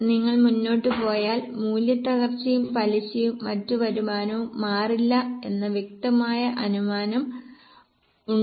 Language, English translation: Malayalam, If you go up there was a clear assumption that depreciation, interest and other income will not change